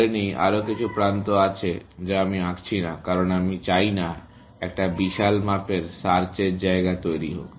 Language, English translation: Bengali, Let us say, there are some more edges that I am not drawing, because we do not want to have an exploding search space